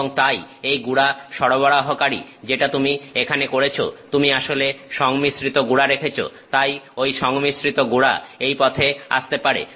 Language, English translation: Bengali, And so, in the powder supply that you do here, you can actually put the mixed powder; so, the mixed powder can come this way